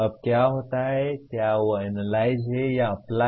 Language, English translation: Hindi, Now what happens is, is that analysis or apply